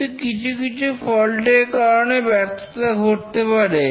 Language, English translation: Bengali, But then some of the faults may cause failure